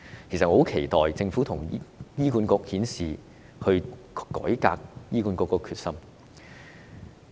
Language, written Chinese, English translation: Cantonese, 我很期待政府與醫管局顯示改革醫管局的決心。, I am looking forward to seeing the determination of the Government and HA in reforming HA